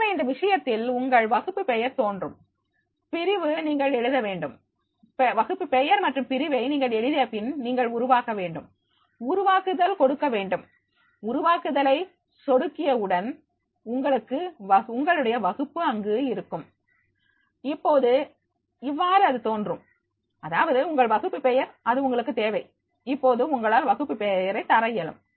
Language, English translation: Tamil, So therefore, in that case you are class name will appear, the section you have to write and when you write the class name and the section and then you have to create, click on the create, as soon as you will be having the click on this create then you will be having to your own class will be there